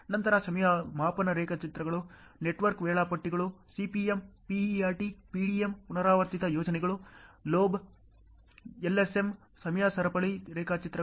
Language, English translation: Kannada, Then time scaled diagrams, network schedules CPM, PERT, PDM, Repetitive projects: LoB, LSM, Time chainage diagrams